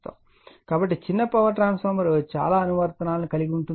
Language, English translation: Telugu, So, small power transformer have many applications